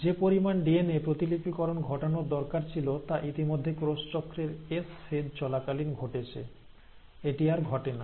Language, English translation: Bengali, Whatever DNA replication had to happen has already happened during the S phase of cell cycle, it is not happening anymore